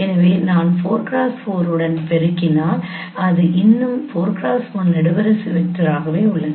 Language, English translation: Tamil, So if I multiply with 4 cross 4 it still remains a 4 cross 1 column vector